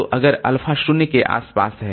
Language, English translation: Hindi, So, alpha is between 0 and 1